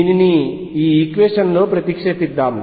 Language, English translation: Telugu, Let us substitute this in the equation